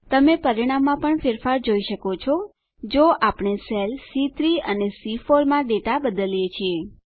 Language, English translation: Gujarati, You can also see the change in result, if we change the data in the cells C3 and C4